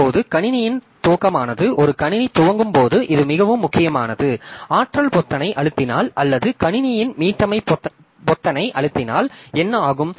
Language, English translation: Tamil, Now the booting of the system, so this is very important like when a system boots, when you switch on, place the power button or the reset button of the computer, then what happens